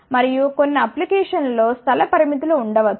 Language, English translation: Telugu, And, there may be space restrictions in some of the application